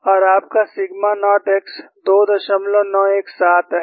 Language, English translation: Hindi, And your sigma naught x is 2